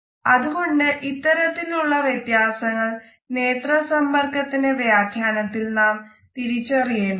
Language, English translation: Malayalam, So, awareness of cultural differences, as far as the interpretation of eye contact is concerned, is important